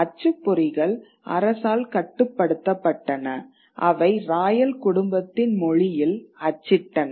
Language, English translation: Tamil, The printers were controlled by the state and they printed in a language which was which was that of the royal family